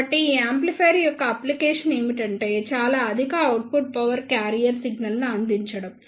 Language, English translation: Telugu, So, the application of these amplifier is to provide the carrier signal that is a very high output power